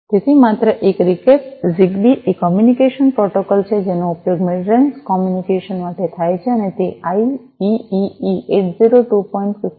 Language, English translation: Gujarati, So, just a recap, ZigBee is a communication protocol that is used for mid range communication and its it follows the specification of IEEE 802